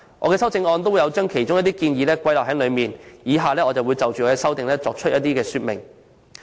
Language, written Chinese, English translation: Cantonese, 我的修正案亦有把其中一些建議包括在內，我現就修正案作出說明如下。, I have also included some of these proposals in my amendment and would like to give my elaboration of the amendment proposed as follows